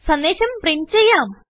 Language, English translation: Malayalam, Now, lets print a message